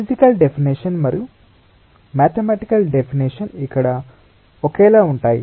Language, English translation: Telugu, physic, the physical definition and the mathematical definition is identical here